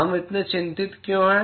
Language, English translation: Hindi, Why are we so concerned